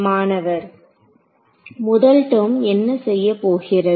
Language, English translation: Tamil, What is the first term going to do